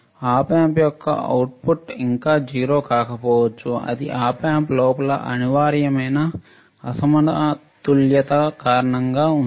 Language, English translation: Telugu, The output of the Op Amp may not be still 0, this is due to unavoidable imbalances inside the Op Amp